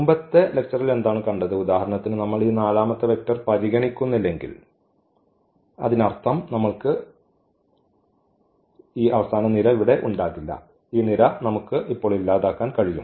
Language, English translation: Malayalam, What was also seen in the previous lecture that, if we do not consider for example, this vector the fourth one if we do not consider this vector; that means, we will not have this column here, this column we can delete now